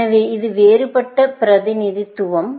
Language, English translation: Tamil, So, this is the different representation